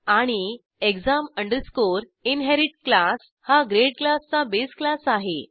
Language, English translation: Marathi, And exam inherit is the base class for class grade